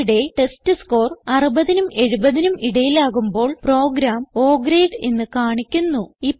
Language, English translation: Malayalam, Here if the testScore is between 60 and 70 the program will display O Grade